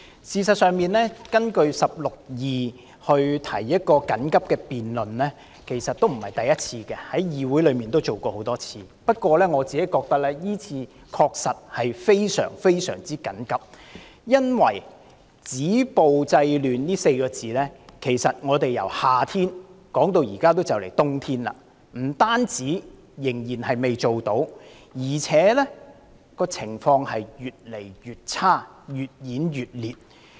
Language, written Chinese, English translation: Cantonese, 事實上，根據第162條緊急提出休會待續議案，今次並非首次，議會之前也曾多次如此處理，不過，我認為今次的情況確實是非常緊急，因為"止暴制亂"這4個字，由夏天提出一直談到現在行將入冬，不單仍未做到，情況更越來越差、越演越烈。, In fact this is not the first time that an adjournment motion of an urgent character is moved under Rule 162 of the Rules of Procedure and we have handled many similar cases in this legislature before . However I consider the situation in the current case really urgent because we have been talking about stopping violence and curbing disorder since the summer months and as we are entering the winter season now not only have we failed to achieve the goal but the situation has also deteriorated with an intensification of the problem